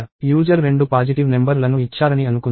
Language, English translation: Telugu, Let us say the user gives two positive numbers